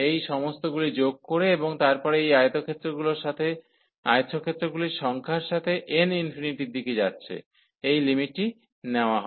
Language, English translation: Bengali, Adding all these and then taking the limit as n approaches to the number of these rectangles goes to infinity